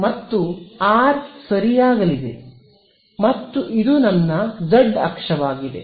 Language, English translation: Kannada, And the R is going to be ok, and what is this, so this is my z axis over here right